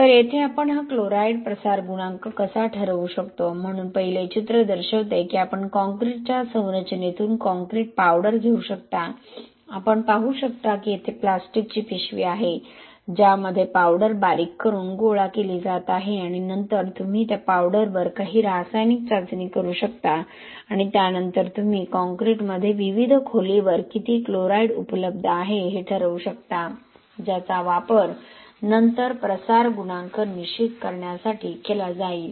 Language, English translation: Marathi, So here how we can determine this chloride diffusion coefficient, so we the first picture shows that you can take the chloride powder sorry take the concrete powder from the concrete structure, you can see there is a plastic bag here, so in which the powder is being ground and collected and then you can do some chemical test on that powder and then you can determining how much chloride is available at various depth within the concrete which will then be used to determine the diffusion coefficient